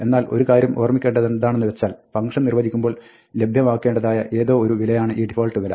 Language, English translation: Malayalam, But, one thing to remember is that, this default value is something that is supposed to be available when the function is defined